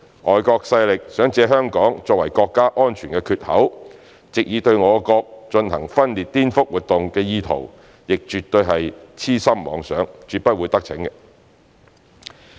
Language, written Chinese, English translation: Cantonese, 外國勢力想借香港作為國家安全缺口，藉以對我國進行分裂顛覆活動的意圖亦絕對是癡心妄想，絕不會得逞。, And also the intention of those foreign forces to use Hong Kong as the gap in our national security to carry out subversive activities aiming at dividing our country is definitely a pipe dream which will never come true